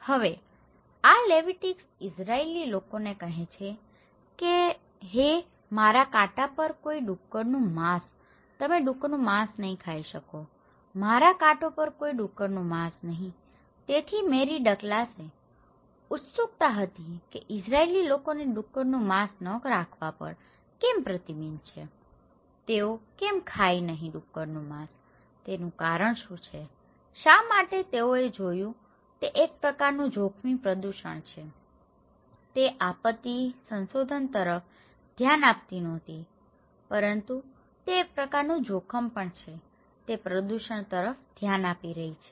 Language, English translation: Gujarati, Now, these Leviticus to the Israeli people they are saying hey, no pork on my fork, you cannot eat pork okay, no pork on my fork so, Mary Douglas was curious why Israeli people are restricted not to have pork, why they cannot eat pork, what is the reason, why they seen it is a kind of risky pollutions, she was not looking into disaster research but she is looking into pollution that is also a kind of risk